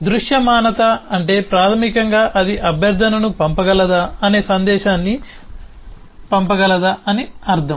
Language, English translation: Telugu, visibility basically means that whether it can actually send the message, whether it can actually send the request